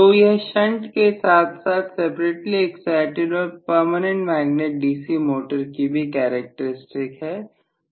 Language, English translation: Hindi, So this is essentially the characteristic for shunt as well as separately excited and also for PMDC motor